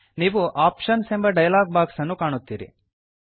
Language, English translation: Kannada, You will see the Options dialog box